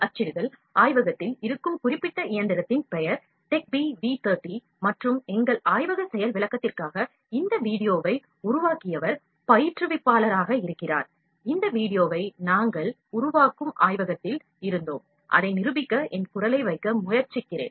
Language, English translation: Tamil, 3D printing using a specific machine that is there in the lab, the name of the machine is TECH B V 30 and our Laboratory Demonstration, the instructor is there who has made this video, and we were in the lab we develop this video and I am trying to put my voice to demonstrate it properly